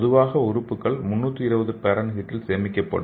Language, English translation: Tamil, So usually the organs will be stored at 320 degrees Fahrenheit